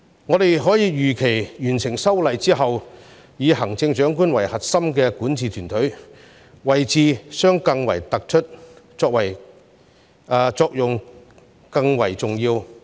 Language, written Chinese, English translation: Cantonese, 我們可以預期完成修例之後，以行政長官為核心的管治團隊，位置將更為突出，作用更為重要。, We can expect that after the passage of the Bill the governing team under the core leadership of the Chief Executive will have a more clear - cut position and play a more important role